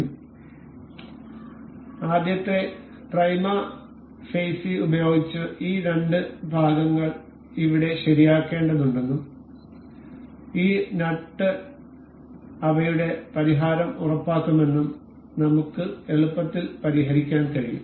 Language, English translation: Malayalam, So, by the first prima facie we can easily guess that these two part has to be fixed over here and this nut would ensure their fixation